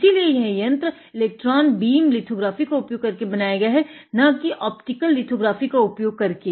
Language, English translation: Hindi, So, this device was made using electron beam lithography, not optical lithography